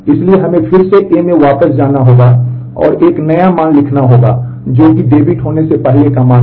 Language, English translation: Hindi, So, we have to again go back to account A and write a new value which was the earlier value the value before the debit had happened